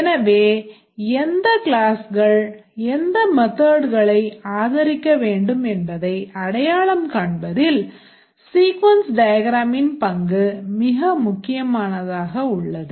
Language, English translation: Tamil, So, the sequence diagram has a very important role of identifying which classes should support which methods